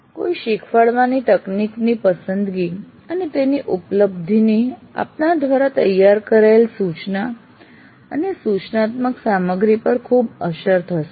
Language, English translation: Gujarati, In terms of choosing, the choice and access to a delivery technology will have a great influence on the instruction as well as the instruction material that you prepare